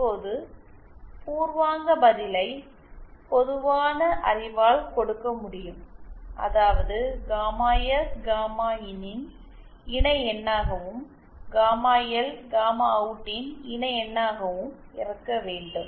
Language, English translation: Tamil, Now the preliminary answer can be given by common knowledge which is that gamma S should be the conjugate of gamma IN and gamma L should be the conjugate of gamma OUT